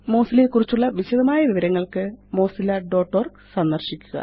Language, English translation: Malayalam, Visit mozilla.org for detailed information on Mozilla